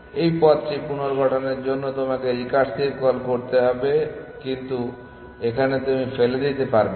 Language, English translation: Bengali, You have to do recursive calls to reconstruct this path, but here you are not thrown away